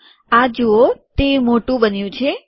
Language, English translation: Gujarati, See this, it has become bigger